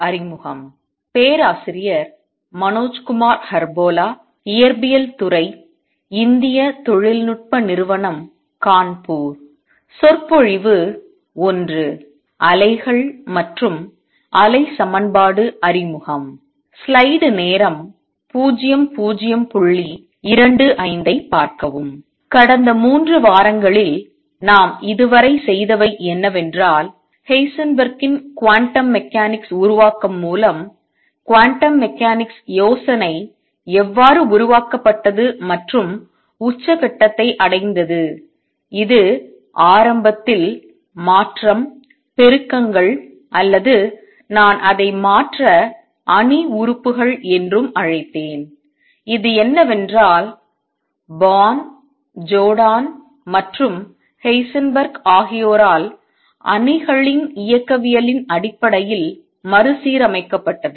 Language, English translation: Tamil, What we have done so far in the past 3 weeks is seen how the quantum mechanics idea developed and culminated with Heisenberg’s formulation of quantum mechanics which initially was written in terms of transition, amplitudes or, what I will also call transition matrix elements and this was reformulated then in terms of matrix mechanics by Born, Jordan and Heisenberg